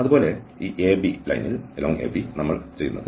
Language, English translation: Malayalam, Similarly, along this AB line, what we do